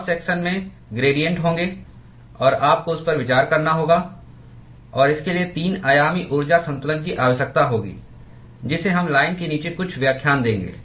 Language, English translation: Hindi, There will be gradients in the cross section; and you will have to consider that; and that would require 3 dimensional energy balance which we will see a few lectures down the line